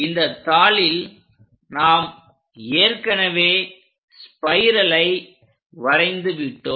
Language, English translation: Tamil, On sheet, we have already drawn a spiral